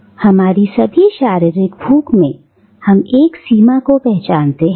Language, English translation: Hindi, “In all our physical appetites, we recognise a limit